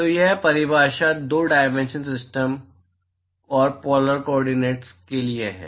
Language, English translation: Hindi, So, this definition is for 2 dimensional system and polar coordinates